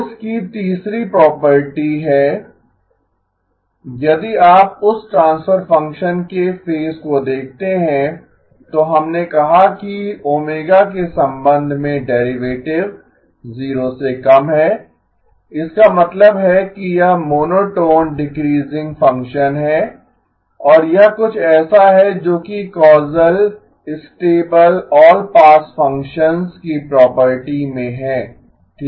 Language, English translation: Hindi, The third property of course is H e of j omega, if you look at the phase of that transfer function then we said that the derivative with respect to omega is less than 0, that means it is monotone decreasing function and this is something that is in property of causal stable all pass functions okay